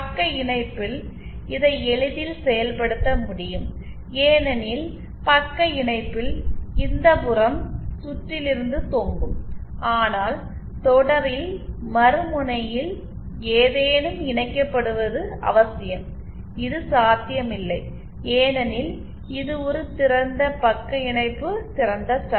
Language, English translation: Tamil, While this can be easily realised in shunt the because in shunt, this end will hang from the circuit but in series, it is necessary that something at the other end is connected which is not possible because this is an open shunt open stub